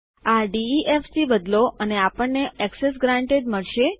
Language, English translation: Gujarati, Change this to def and well get Access granted